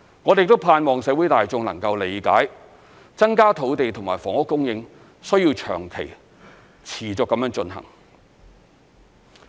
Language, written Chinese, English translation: Cantonese, 我們盼望社會大眾能夠理解，增加土地和房屋供應需要長期、持續地進行。, We hope that the general public will understand that increasing the supply of land and housing requires long - term and continuous efforts